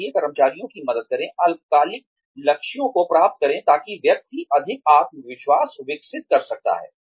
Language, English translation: Hindi, So, help the employees, achieve short term goals, so that the person can develop, more confidence